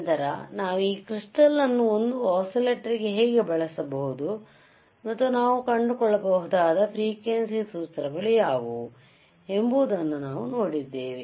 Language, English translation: Kannada, tThen we have seen how we can use this crystal as an oscillator and what are the kind of frequency formulae that we can find